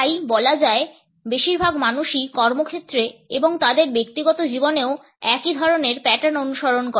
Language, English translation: Bengali, So, to say that the majority of the people follow similar patterns at workplace and in their personal lives also